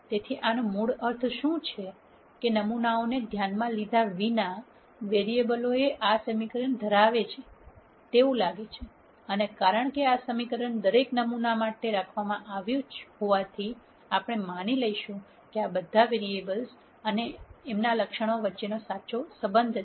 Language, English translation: Gujarati, So, what this basically means is, irrespective of the sample, the variables seem to hold this equation and since this equation is held for every sample we would assume that this is a true relationship between all of these variables or attribute